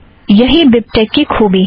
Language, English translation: Hindi, That is the beauty of BibTeX